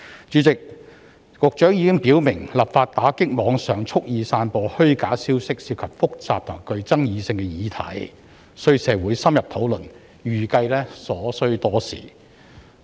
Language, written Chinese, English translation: Cantonese, 主席，局長已經表明，立法打擊在網上蓄意散播虛假消息涉及複雜及具爭議性的議題，需要經過社會深入討論，預計需時。, President the Secretary stated that the enactment of legislation targeting deliberate dissemination of false information online would involve complicated and controversial issues and require in - depth discussion in society and so the process is expected to take a long time